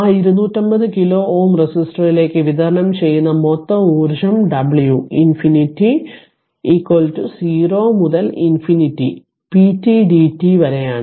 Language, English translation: Malayalam, So, the total energy delivered to that 250 kilo ohm resistor is w r infinity is equal to 0 to infinity p t dt